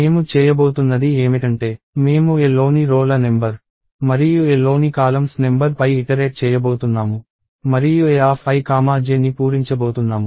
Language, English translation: Telugu, And what I am going do is I am going to iterate over the number of rows in A and the number of columns in A, and fill up A of i comma j